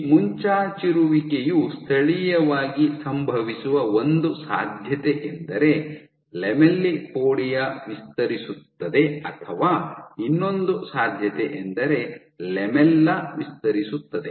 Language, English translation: Kannada, So, for this protrusion to happen locally one possibility one possibility is the lamellipodia is expands, one possibility is the lamellipodia is expanding or the other possibility is the lamella is expanding